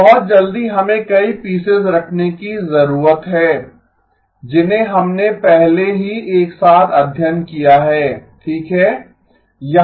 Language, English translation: Hindi, Now very quickly we need to put several pieces that we have already studied together okay